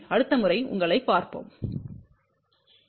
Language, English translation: Tamil, We will see you next time, bye